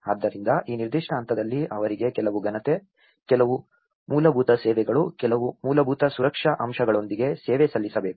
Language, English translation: Kannada, So, this particular phase they need to be served with some dignity, some basic services, some basic safety aspect